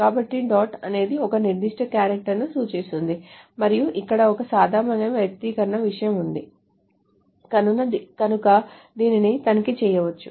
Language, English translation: Telugu, So dot stands for a particular particular character and there is a regular expression thing that can be done here